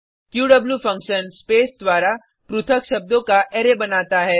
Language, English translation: Hindi, qw function creates an Array of words separated by space